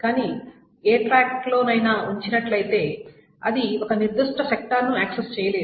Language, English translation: Telugu, But having placed itself on any track, it cannot access any sector